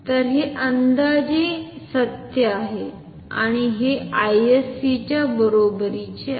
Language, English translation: Marathi, So, this is approximately true and this will be equal to I sc